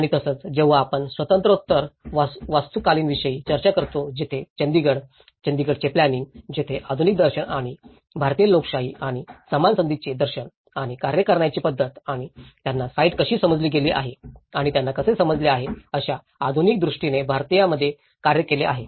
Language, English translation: Marathi, And similarly, when we talk about the post independent architecture where Chandigarh; planning of the Chandigarh where western philosophies have come and worked in an Indian with a modern vision and the visions for democracy and equal opportunities and how the method of working and how they have understood the site and how they have understood so, this is all a transition process in the way the architecture have understood with the community, have dealt with the communities